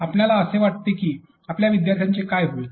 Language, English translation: Marathi, What do you think will happen to your students